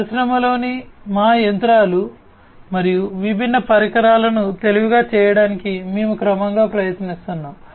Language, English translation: Telugu, Plus, we are gradually trying to make our machines and different devices in the industry smarter